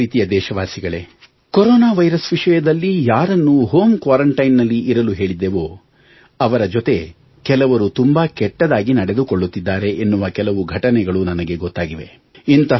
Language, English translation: Kannada, My dear countrymen, I have come to know of some instances, that some of those people who were suspected to have corona virus and asked to stay in home quarantine, are being illtreated by others